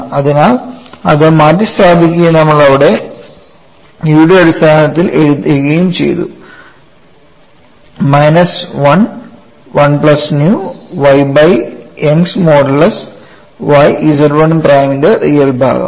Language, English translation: Malayalam, We know E equal to 2 G into 1 plus nu so that is substituted and we have written it in terms of E here, minus 1 of 1 plus nu divided by Young's modulus y real part of Z 1 prime